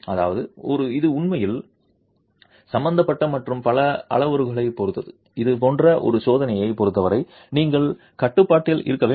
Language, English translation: Tamil, That means it is really involving and depends on several other parameters which you should be in control of as far as a test like this is concerned